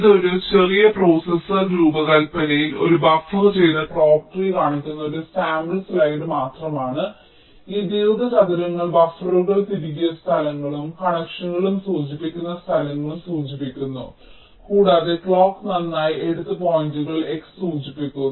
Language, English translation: Malayalam, so this is just a sample slide showing a buffered clock tree in a small processor design, where this rectangles indicate the places where buffers have been inserted, ok, and the lines indicate the connections and the x indicates the points where the clock has been taken